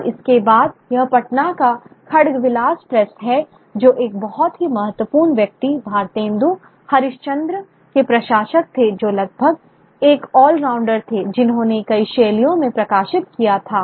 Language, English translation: Hindi, And after that, the Khagdabila's place from Patna, who were the publishers of a very important figure, Bharate Endo Haris Candra, who was almost an all rounder who published in multiple genres